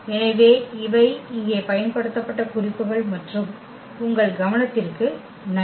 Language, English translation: Tamil, So, these are the references used here and thank you for your attention